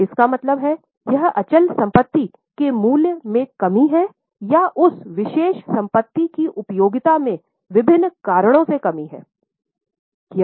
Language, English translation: Hindi, What it means is it is a reduction in the value of fixed asset or it is reduction in the utility of that particular asset due to variety of reasons